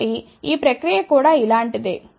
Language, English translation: Telugu, So, this process is similar